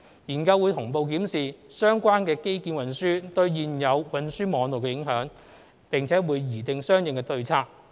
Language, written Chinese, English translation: Cantonese, 研究會同步檢視相關的運輸基建對現有運輸網絡的影響，並擬訂相應的對策。, The study will also examine the impact of the proposed transport infrastructure on the existing transport network and formulate the corresponding strategies